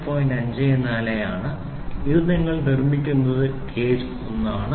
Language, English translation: Malayalam, 54 now this is for you for building this is gauge 1